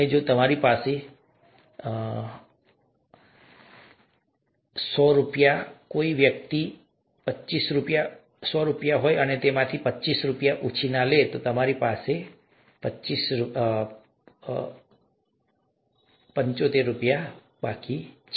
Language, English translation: Gujarati, And, if I have, let us say, hundred rupees, if somebody borrows twenty five rupees, I have seventy five rupees left